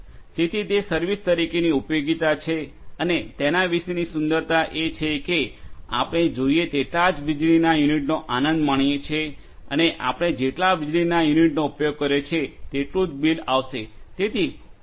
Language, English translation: Gujarati, So, that is utility as a service and the beauty about it is that we keep on enjoying as many units of electricity as we need and we will be billed for the number of units of electricity that we have used